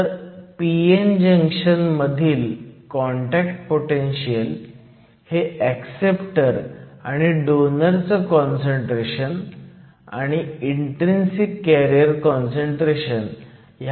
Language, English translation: Marathi, So, the contact potential in the case of a p n junction depends upon the concentration of the acceptors and the concentration of the donors and also the intrinsic carrier concentration